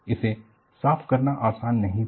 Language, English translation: Hindi, And, it was not easy to clean